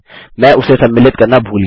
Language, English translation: Hindi, I forgot to include that